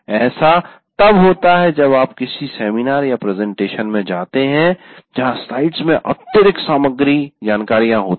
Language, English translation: Hindi, It does happen whenever you go to a seminar or a presentation where the slides are overcrowded, it's very difficult to keep track of that